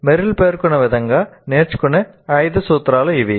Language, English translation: Telugu, So these are the five principles of learning as stated by Merrill